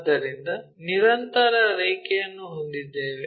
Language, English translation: Kannada, So, we have a continuous line